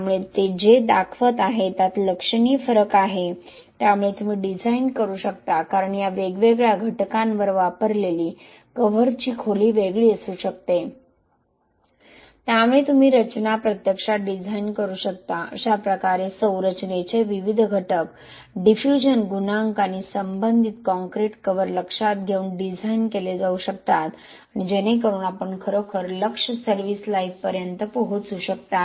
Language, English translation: Marathi, So what it is showing is there is significant variation so you can design because the cover depth used on these different elements could be different, so you can actually design the structure in a way, the different elements of the structure can be designed considering the diffusion coefficient and the corresponding concrete cover and so that you really reach the target service life